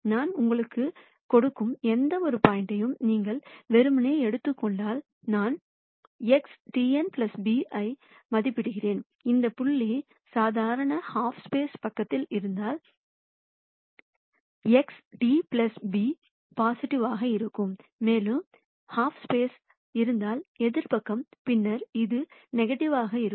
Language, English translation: Tamil, If you were to simply take any point that I give you and then I evaluate X transpose n plus b, if that point is on the side of the normal half space then X transpose n plus b will be positive, and if its on the half space in the opposite side then its going to be negative